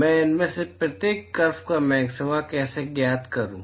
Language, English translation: Hindi, How do I find maxima of each of these curve